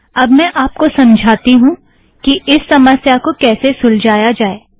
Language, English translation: Hindi, I will explain how to address this problem